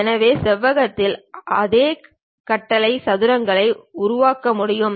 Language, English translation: Tamil, So, same command like rectangle one can construct squares also